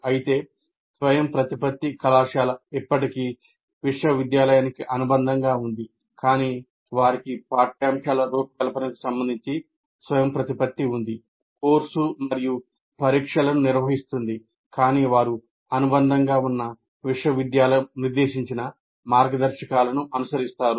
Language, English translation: Telugu, Whereas autonomous college is still affiliated to a university, but they have autonomy with respect to the curriculum design and conducting the course and conducting the examination, but with following some guidelines stipulated by the university to which they're affiliated